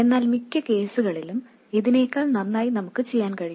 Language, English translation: Malayalam, But it turns out that in most cases we can do better than this